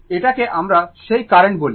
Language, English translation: Bengali, This is what you call that current